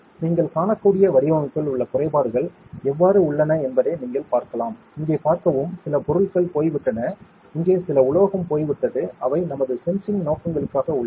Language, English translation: Tamil, So, you can see how like the imperfections in the design you can see, see here means some material is gone some here metal is gone which are for our sensing purposes